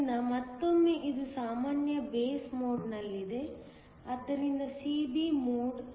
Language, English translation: Kannada, So, once again this is in a common base mode, so CB mode